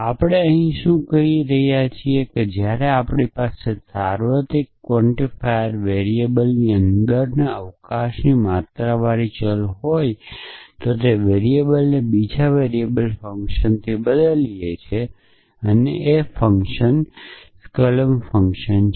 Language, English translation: Gujarati, So, what are we saying here when we have a existentially quantified variable inside scope of a universally quantified variable then we are replacing that variable with the function of the other variable and the function is the skolem function